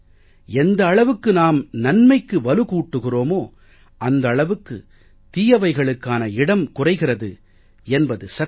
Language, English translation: Tamil, It is true that the more we give prominence to good things, the less space there will be for bad things